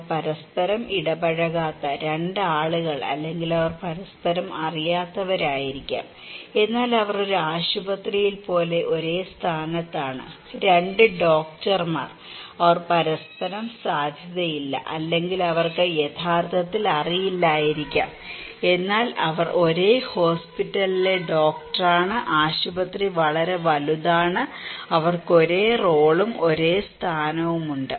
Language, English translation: Malayalam, The 2 people they do not interact with each other or they may not know each other at all, but they belong to same position like in a hospital, 2 doctors, they may not meet to know each other, or they may not know actually, but they have a same position that they are a doctor in a same hospital, the hospital is very big so, they have same role and same positions